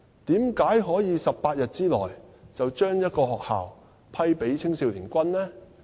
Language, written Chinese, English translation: Cantonese, 為何可以在18天內便把一間學校批給青少年軍呢？, How come a school building could have been allocated to the Hong Kong Army Cadets Association Limited in 18 days?